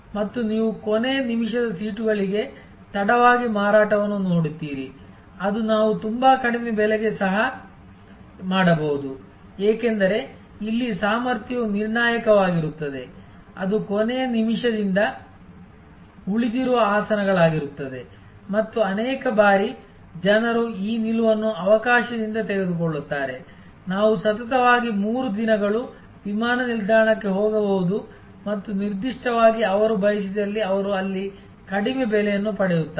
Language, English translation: Kannada, And again you see late sales for the last minutes seats that can also we at a very low price, because here the capacity is in determinant it will be the seats left out of the last minute and, so many times people take this stand by opportunity we may go to the airport 3 days consecutively and want particular they there will get that very low price see that there looking for